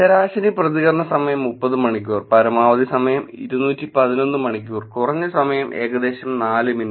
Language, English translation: Malayalam, Average time response 30 hours, maximum time was 211 hours, minimum time was about 4 minutes